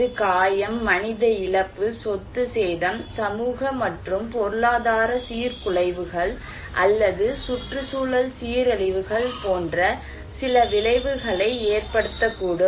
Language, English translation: Tamil, It may cause some effect like injury, human loss, property damage, social and economic disruptions or environmental degradations right